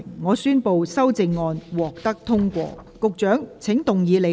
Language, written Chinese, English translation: Cantonese, 我宣布修正案獲得通過。, I declare the amendments passed